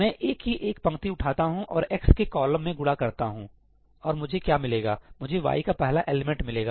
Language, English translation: Hindi, Let me pick up a row of A and multiply to the column of x; and what will I get I will get the first element of y